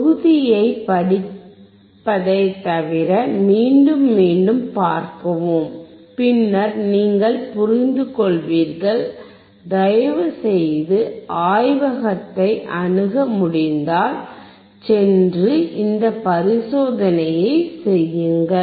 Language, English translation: Tamil, Other than reading look at the module see again and again then you will understand, what are the things that we are performing, if you have access to the laboratory, please go and perform this experiment